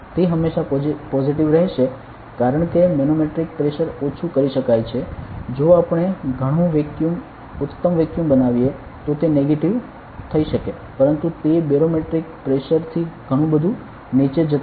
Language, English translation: Gujarati, Which will always be positive, because manometric pressure can reduce up to say if we create a lot of vacuum excellent vacuum then will be like being negative, but it does not go below barometric pressure a lot so the absolute pressure will always be positive ok